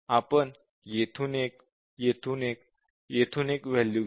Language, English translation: Marathi, So, we just take 1 value from here, 1 value from here, 1 from here